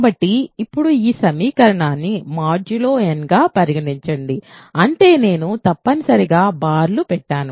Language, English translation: Telugu, So, now consider this equation modulo n so; that means I essentially put bars